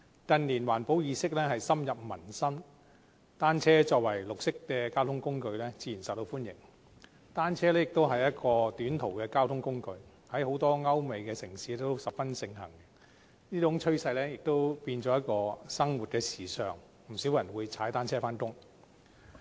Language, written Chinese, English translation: Cantonese, 近年，環保意識深入民心，單車作為綠色交通工具，自然受到歡迎，而且單車也是一種短途交通工具，在很多歐美城市十分盛行，這種趨勢已經變成一種生活時尚，不少人會踏單車上班。, As a form of green transport cycling has naturally become popular . Besides bicycles are a prevalent mode of transport for short - haul journeys in many European and American cities . Such a trend has become representative of a voguish lifestyle and many people go to work by bicycle